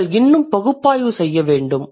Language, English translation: Tamil, You need to be more analytical